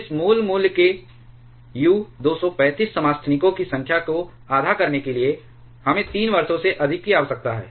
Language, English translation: Hindi, That is to reduce the number of U 235 isotopes to half of this original value, we need more than 3 years